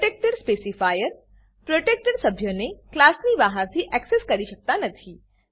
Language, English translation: Gujarati, Protected specifier Protected members cannot be accessed from outside the class